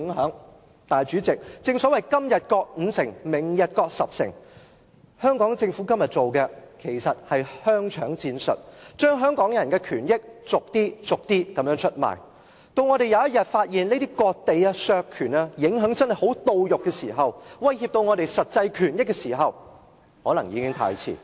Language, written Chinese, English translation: Cantonese, 可是，主席，正所謂"今日割五城，明日割十城"，香港政府今天做的，其實是香腸戰術，把香港人的權益逐點出賣，到我們某天發現這些割地及削權的影響真的十分切膚，威脅到我們的實際權益時，可能已經太遲。, But then President an old Chinese saying has it right that ceding five towns today may lead to ceding ten towns tomorrow . The Hong Kong Government is now adopting salami tactics under which our interests are given away bit by bit . It might be too late when we realize one day the severe impacts of land cession and right cession on our actual interests